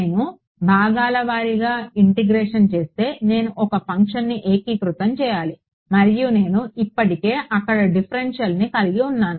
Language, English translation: Telugu, If I do integration by parts I have to integrate one function and I already have the differential inside there